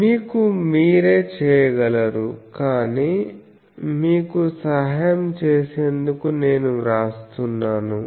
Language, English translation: Telugu, So, you can do yourself, but still for helping you I am writing it